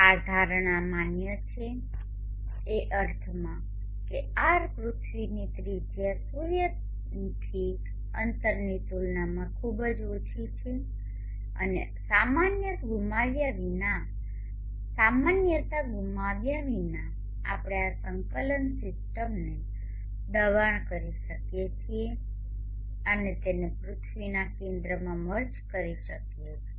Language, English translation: Gujarati, This assumption is valid in the sense that r, the radius of the earth is very small compared to the distance from the sun and without loss of generality we can push this coordinate system and make it merge to the center of the earth